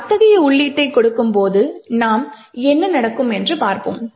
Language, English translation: Tamil, So, we will see what happens when we give such an input